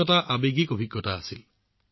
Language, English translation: Assamese, It was an emotional experience